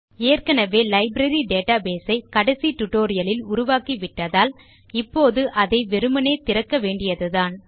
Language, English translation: Tamil, Since we already created the Library database in the last tutorial, this time we will just need to open it